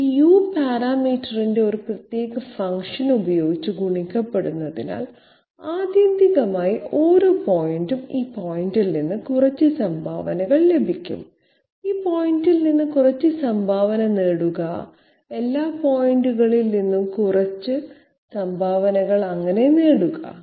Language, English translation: Malayalam, This will be multiplied with a particular function of the U parameter so that ultimately each and every point gets some contribution from this point, get some contribution from this point, get some contribution from all the points that way